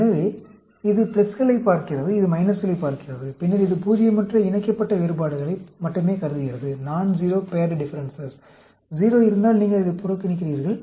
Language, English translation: Tamil, So, it looks at the pluses, it looks at the minuses, and then, it considers only the nonzero paired differences; if there are 0, you neglect it